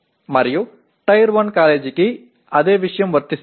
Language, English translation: Telugu, And the same thing for Tier 1 college